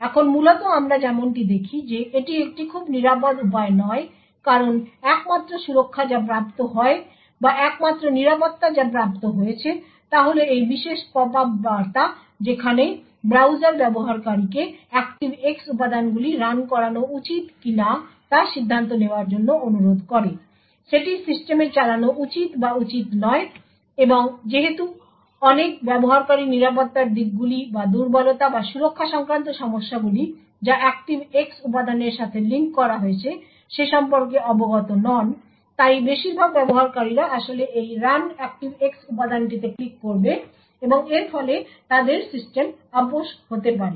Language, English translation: Bengali, Now essentially as we see this is not a very secure way of doing things because the only protection that is obtained or the only security that is obtained is this particular popup message where the browser requests the user to actually take the decision whether the ActiveX components should run or should not run in the system and since many users are unaware of the security aspects or the vulnerabilities or the security issues that are linked with ActiveX components, most users would actually click on this run ActiveX component and this could result in their system being compromised